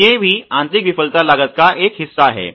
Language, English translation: Hindi, So, these are also a part of internal failure costs